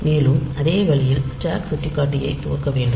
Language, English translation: Tamil, So, it is important to initialize the stack pointer